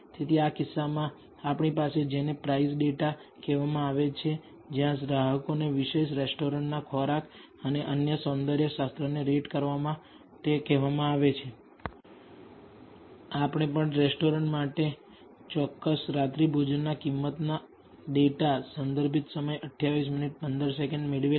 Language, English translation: Gujarati, So, in this case we have what is called the price data where customers are being asked to rate the food and the other aesthetics of a particular restaurant and we also and cost of the particular dinner also data obtained for these restaurants